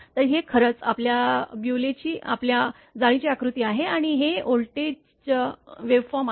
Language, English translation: Marathi, So, this is actually your Bewley’s your lattice diagram and this is the voltage waveform this